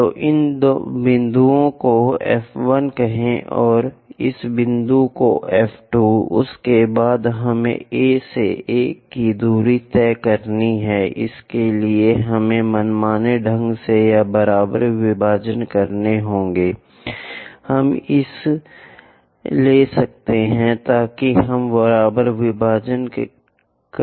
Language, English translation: Hindi, So, call these points F 1 and this point F 2 after that we have to take distance A to 1; for that, we have to arbitrarily or equal divisions we can take it let us take equal divisions